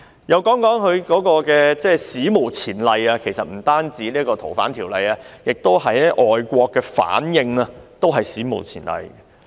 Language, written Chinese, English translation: Cantonese, 讓我談談她的一些"史無前例"的做法，其實不僅是《逃犯條例》，外國的反應也是史無前例的。, Since she does not wish to resign we have therefore proposed a no - confidence motion against her . Let me talk about some of the unprecedented practices in relation to her . Actually apart from FOO the response of foreign countries is also unprecedented